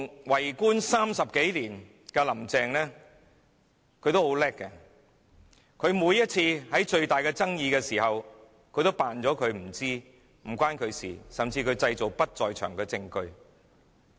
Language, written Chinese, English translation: Cantonese, 為官30多年的林鄭月娥十分厲害，每次出現重大爭議，她也裝作不知情、與她無關，甚至製造不在場證據。, Carrie LAM has been a government official for some 30 years and she is very clever in a sense because every time when any major dispute erupts she will feign ignorance . She will pretend that she has nothing to do with it and even make up her alibi